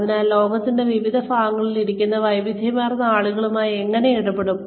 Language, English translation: Malayalam, So, how do we deal with a variety of people, who are sitting in different parts of the world